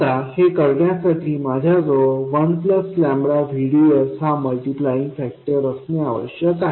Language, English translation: Marathi, Now to this I have to have a multiplying factor of 1 plus lambda VDS